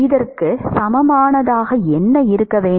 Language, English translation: Tamil, What should be the equivalent here